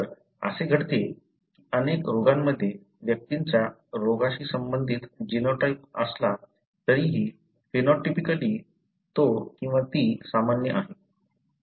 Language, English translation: Marathi, So, it so happens that in many diseases, even though the individuals have the genotype related to the disease, phenotypically he or she is normal